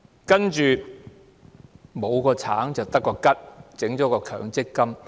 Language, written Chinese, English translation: Cantonese, 接着，沒有了"橙"，便得個"桔"，政府設立了強積金。, What followed was that without the orange we were given a tangerine―the Government set up the MPF System